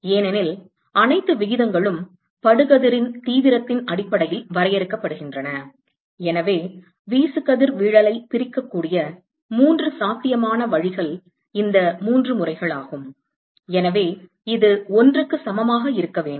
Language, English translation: Tamil, Because all the ratios are defined based on the incident intensity, so, the only three possible ways by which the irradiation can be split is these three modes and therefore, this should be equal to 1